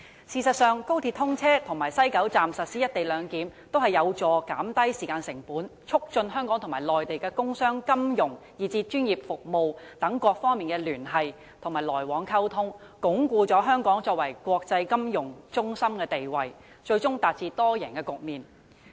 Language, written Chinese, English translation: Cantonese, 事實上，高鐵通車及在西九龍站實施"一地兩檢"均有助減低時間成本，促進香港和內地的工商、金融以至專業服務等各方面的聯繫和來往溝通，鞏固香港作為國際金融中心的地位，最終達致多贏局面。, As a matter of fact the commissioning of XRL and the implementation of the co - location arrangement at West Kowloon Station are conducive to achieving saving in time costs promoting connections and communications between Hong Kong and the Mainland in various aspects such as industry and commerce finance professional services strengthening Hong Kongs status as an international financial centre and eventually achieving a multi - win situation